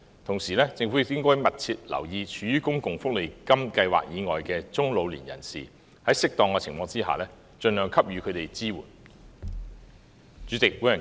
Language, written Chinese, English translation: Cantonese, 同時，政府亦應該密切留意處於公共福利金計劃以外的中老年人士，在適當的情況下，盡量給予他們支援。, At the same time the Government should also pay close attention to people from middle to old age not covered by the Social Security Allowance Scheme and provide appropriate support to them by all means